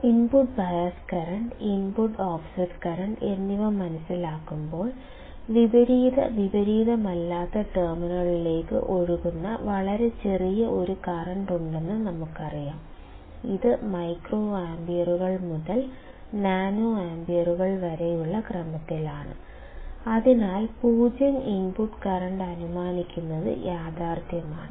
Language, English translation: Malayalam, While understanding input bias current,; input offset current, we knowsaw that there is a very small current that flows into the inverting and non inverting terminals; which is in the order of microamps to nanoamps, hence the assumption of 0 input current is realistic